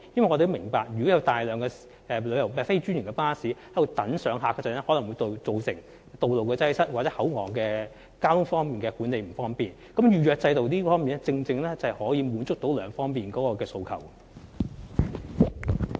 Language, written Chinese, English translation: Cantonese, 我們明白，如果有大量非專營巴士等候上客，可能會造成道路擠塞或口岸交通管理不便，因此預約制度便正正可以滿足這兩方面的需求。, We understand that large numbers of non - franchised buses waiting to pick up passengers may cause traffic congestion or hinder traffic management at the Hong Kong Port . Therefore a reservation system can precisely meet these two needs